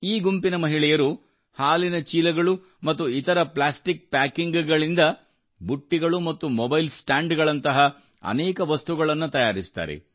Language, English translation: Kannada, The women of this group make many things like baskets and mobile stands from milk pouches and other plastic packing materials